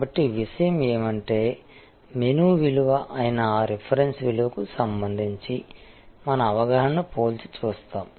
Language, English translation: Telugu, So, the point is that, we then compare our perception with respect to that reference value, which is the menu value